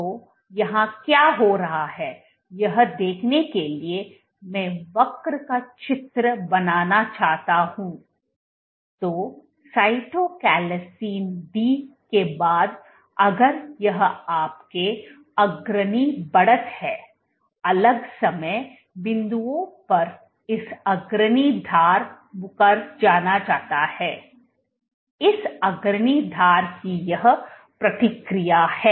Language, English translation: Hindi, So, if I want to draw the curve what is happening here is after Cytochalasin D if this is your leading edge this leading edge at different time points which is retracting this coming, this response the leading edge